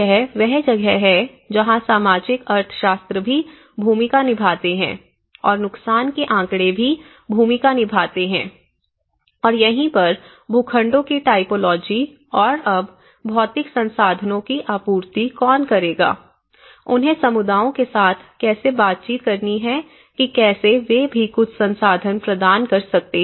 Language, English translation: Hindi, This is where the socio economics also play into the role and the damage statistics also play into the role and this is where the typology of plots and now who will supply the material resources, you know that is where they have to negotiate with how communities can also provide some resources to it